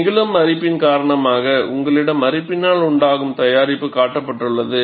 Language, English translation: Tamil, Because the corrosive action, you have corrosion product shown